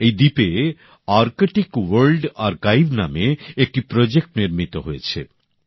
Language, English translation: Bengali, A project,Arctic World Archive has been set upon this island